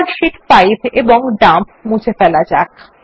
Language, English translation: Bengali, Let us delete Sheets 5 and Dump